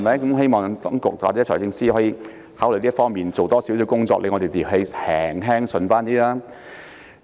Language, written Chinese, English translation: Cantonese, 我希望當局或財政司司長考慮就此多做些工作，令我們心情稍為舒暢一些。, I urge the authorities or the Financial Secretary to consider doing more in this respect to cheer us up a bit